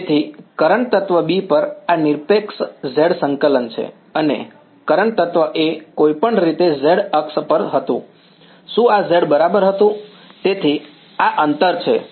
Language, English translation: Gujarati, So, this is the absolute z coordinate on current element B and current element A was anyway on the z axis was this was z right, so this is the distance